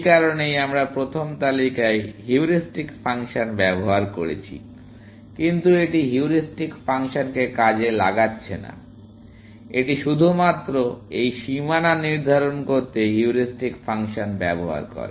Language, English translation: Bengali, This is why, we used the heuristic function in the first list, but this is not exploiting the heuristic function; it uses the heuristic function only to determine this boundary